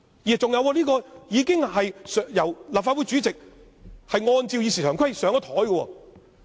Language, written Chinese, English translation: Cantonese, 再者，這項議案已經由立法會主席按照《議事規則》放入議程。, Moreover the motion has already been put on the agenda by the President of the Legislative Council in accordance with RoP